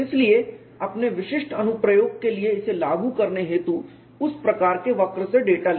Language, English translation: Hindi, So, take the data from that kind of curve for you to apply it for your specific application